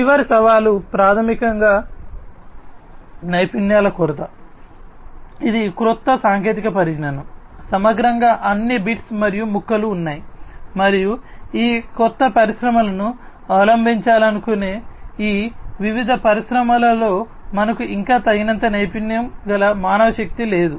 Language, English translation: Telugu, And the last challenge is basically, the lack of skills, this is a new technology, holistically all the bits and pieces have been there, but holistically, it is a new technology and we still do not have enough skilled manpower in these different industries who want to adopt this new technology of IIoT